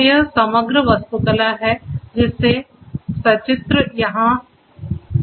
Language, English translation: Hindi, So, this is this overall architecture pictorially it is shown over here